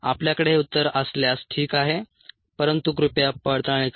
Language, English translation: Marathi, if you have this answer, fine, but please verify